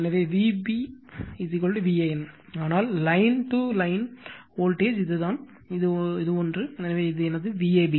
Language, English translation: Tamil, So, V p is equal to V an but, line to line voltage is this this one, so this is my V ab right